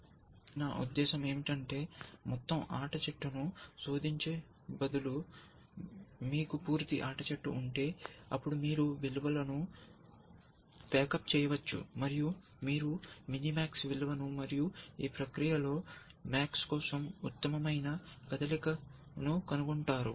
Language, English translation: Telugu, So, this is k ply, if the So, instead of searching the entire game tree, I mean if you have the complete game tree, then you could have just pack up the values, and you would have found the minimax value, and the best move for max in the process